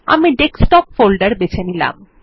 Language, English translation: Bengali, I will choose the Desktop folder